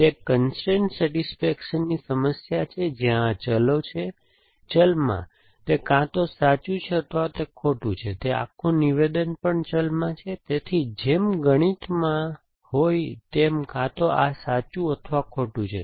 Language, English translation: Gujarati, It is a constrain satisfaction problem where these is the variable, in variable it is a either true or it is falls and this whole statement is also in variable it is either true or it is falls which can be from the mathematics